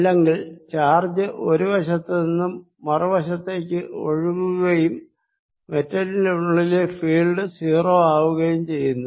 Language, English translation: Malayalam, otherwise charge is flow from one side to the other and the field inside the metal is zero